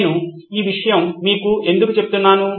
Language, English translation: Telugu, So why am I telling you this